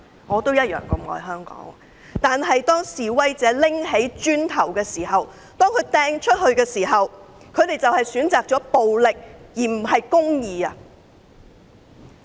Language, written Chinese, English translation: Cantonese, 我也愛香港，但示威者拿起磚頭擲出去的時候，他們選擇了暴力而不是公義。, I also love Hong Kong but when the protesters started to throw bricks they have chosen violence but not justice